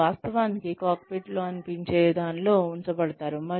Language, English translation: Telugu, They are actually put in, something that looks like a cockpit